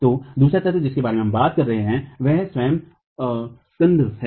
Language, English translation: Hindi, So, the second element that we are talking about is the spandrel itself